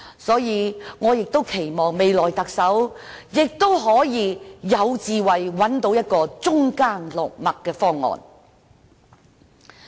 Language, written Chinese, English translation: Cantonese, 所以，我期望未來特首具備智慧，找到中間落墨的方案。, I hope the next Chief Executive can have the wisdom to find out a balanced proposal in - between the two sides